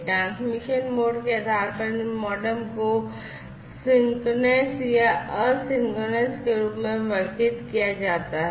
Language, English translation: Hindi, On the basis of the transmission mode, these modems can be classified as synchronous or asynchronous